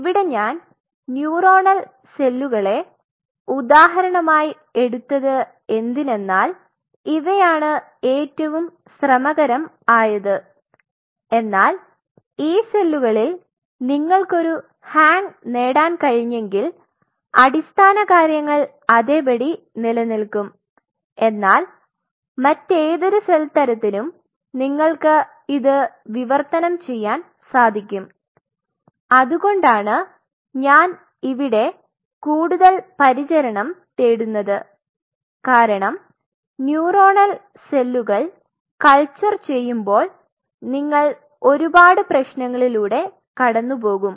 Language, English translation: Malayalam, The idea is here we are taking examples of neuronal cells because these are the most fastidious one the most tedious one, but if you can get a hang on these cells then the basics remains the same, for any other cell type you really can translate it that is the whole reason why I am kind of seeking care because there are several problems what you will be facing while will be culturing neuronal cells